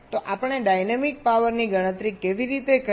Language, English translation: Gujarati, so how do we calculate the dynamic power